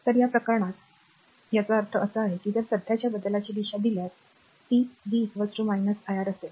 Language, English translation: Marathi, So, in this case so, that means, it if direction of the current change it will be v is equal to minus iR